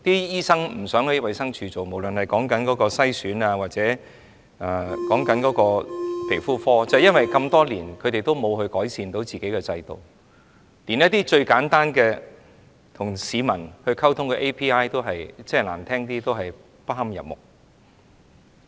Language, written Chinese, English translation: Cantonese, 醫生不想在衞生署工作，無論是遺傳篩選服務或皮膚科，因為這麼多年署方沒有改善自己的制度，連一些最簡單跟市民溝通的 API ，說得難聽一點，也不堪入目。, Doctors do not want to work for DH no matter in genetic screening services or dermatology services because for all these years DH has not improved its own system and even its Application Programming Interface API for simple communication with the public is poorly designed